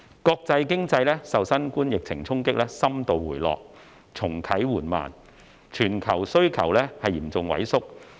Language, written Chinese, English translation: Cantonese, 國際經濟受新冠疫情衝擊深度回落，重啟緩慢，全球需求嚴重萎縮。, Being hard hit by the COVID - 19 epidemic the international economy has declined significantly and revived slowly with global demand slumping severely